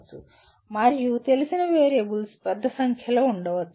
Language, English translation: Telugu, And there may be large number of known variables